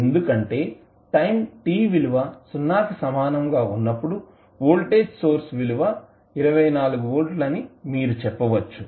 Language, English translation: Telugu, What would be the value because at time t is equal to 0 you see the voltage source value is 24 volt